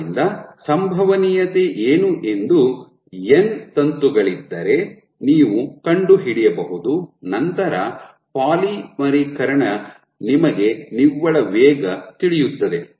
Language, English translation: Kannada, So, you can find out what is the probability so the net rate of polymerization you know